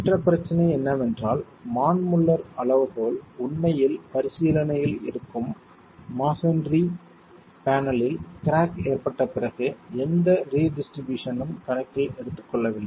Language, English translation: Tamil, The other problem is the Manmuller criterion is really not taking into account any redistribution after a crack formation occurs in the masonry panel that is under examination